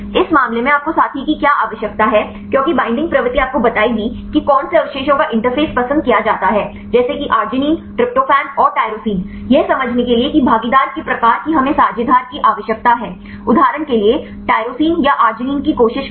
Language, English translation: Hindi, In this case what do you need we need the partner because the binding propensity will tell you which residues are preferred to be interface like arginine, tryptophan and tyrosine to understand the type of interactions we need the partner, for example, tyrosine or arginine trying to interact to with which type the residues